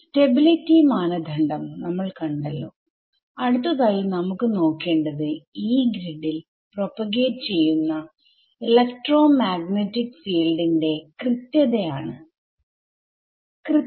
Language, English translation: Malayalam, Alright so having looked at having looked at stability as a criterion ability the next thing that we want to look at this accuracy of electromagnetic field propagating in the Yee grid; y double e grid ok